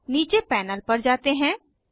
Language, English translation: Hindi, Now lets move to the panel below